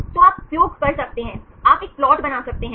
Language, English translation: Hindi, So, you can use you can make a plot